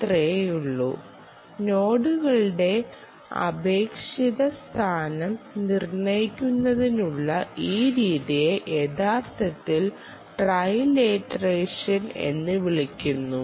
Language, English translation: Malayalam, that s all, ok and um, this method of determining the relative location of nodes, this method is actually called trilateration, trilateration